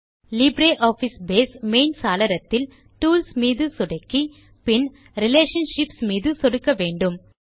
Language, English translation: Tamil, In the Libre Office Base main window, let us click on Tools and then click on Relationships